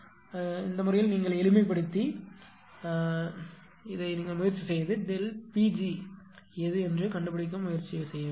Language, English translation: Tamil, So, in that case this is and then you simplify and try to simplify and try to find out what is delta P g upon delta p right